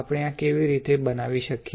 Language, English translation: Gujarati, How to create this